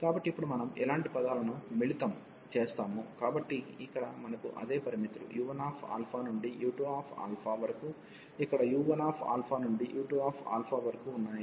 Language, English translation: Telugu, So, now we will combine the similar terms, so here we have the same limits u 1 alpha to u 2 alpha here also u 1 alpha to u 2 alpha